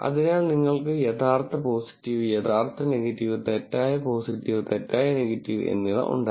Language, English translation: Malayalam, So, we had, true positive, true negative, false positive, false negative